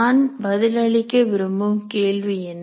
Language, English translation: Tamil, So what is the question I am trying to answer